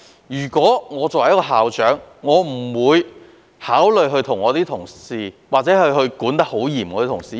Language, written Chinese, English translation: Cantonese, 如果我是校長，我也不會對我的同事施加嚴厲的管理。, If I were a school principal I would not exercise strict supervision over my colleagues